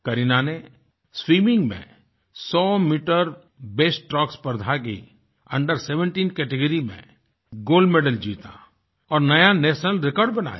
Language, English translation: Hindi, Kareena competed in the 100 metre breaststroke event in swimming, won the gold medal in the Under17 category and also set a new national record